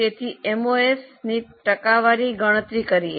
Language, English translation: Gujarati, So, compute MOS percentage